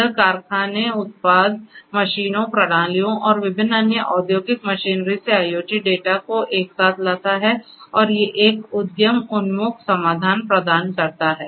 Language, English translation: Hindi, It brings together IoT data from factory, product, machines, systems and different other industrial machinery and it is it provides an provides an enterprise oriented solution